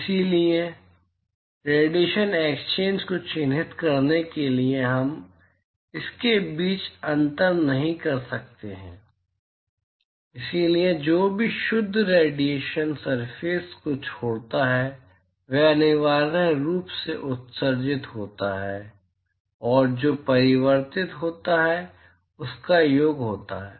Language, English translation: Hindi, So, therefore, in order to characterize the radiation exchange we cannot distinguish between so whatever net radiation that leaves the surface is essentially sum of what is emitted plus what is reflected